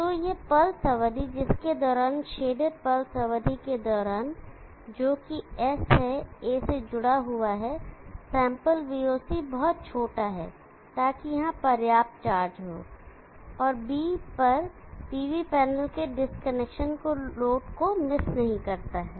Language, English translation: Hindi, So this pulse duration during which the shaded pulse duration during which S is connected A, to sample VOC is very small, so that there is sufficient charge here and load does not miss the disconnection of the PV panel at B